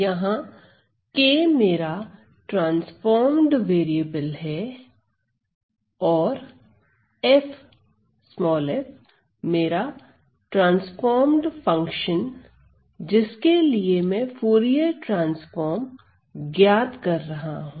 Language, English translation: Hindi, So, my k is the transformed variable and the transformed function for which I am evaluating the Fourier transform is small f